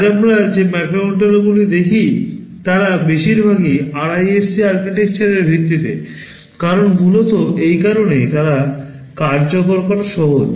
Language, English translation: Bengali, Most of the microcontrollers that we see today they are based on the RISC architecture, because of primarily this reason, they are easy to implement